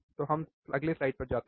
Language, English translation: Hindi, So, we go to the next slide, what is the next slide